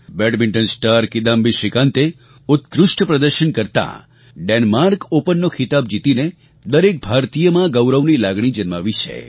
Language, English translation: Gujarati, Badminton star Kidambi Srikanth has filled every Indian's heart with pride by clinching the Denmark Open title with his excellent performance